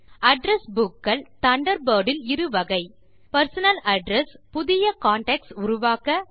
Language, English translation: Tamil, There are two types of Address Books in Thunderbird: Personal address book allows you to create new contacts